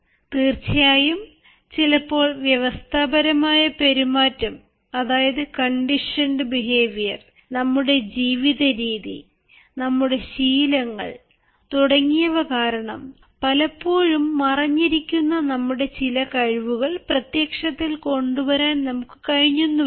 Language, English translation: Malayalam, of course, sometimes because of the conditioned behaviour and because of the way we live in, we have been habituated to live in, we are not able to expose some of our skills, which often lie hidden